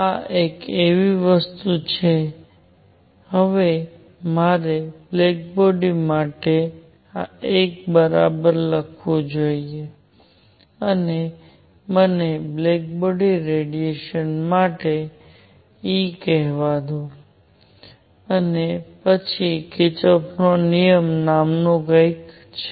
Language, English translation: Gujarati, This is something called; now I should write a is equal to 1 for a black body and let me call this E for a black body, and then there is something called Kirchhoff’s rule